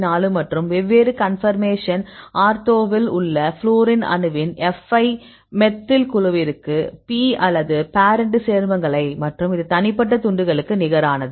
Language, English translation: Tamil, 4 and the fi for the fluorine atom in the different conformation ortho to a methyl group; this is the log P or the parent compound and this is the for the individual fragments